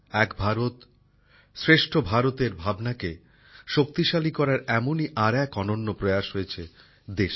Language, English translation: Bengali, Another such unique effort to give strength to the spirit of Ek Bharat, Shrestha Bharat has taken place in the country